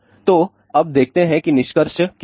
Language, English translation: Hindi, So, now let us see what is the conclusion